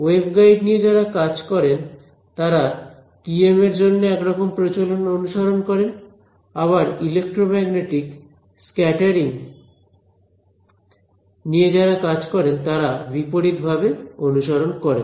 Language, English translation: Bengali, The wave guide people have a certain convention for what is TM and people in electromagnetic scattering they have the reverse convention